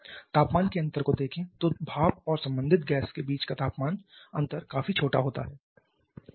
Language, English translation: Hindi, Look at the temperature difference here the temperature difference between the steam and the corresponding gash is quite smaller